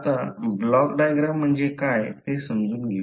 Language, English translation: Marathi, So now let us first understand what is block diagram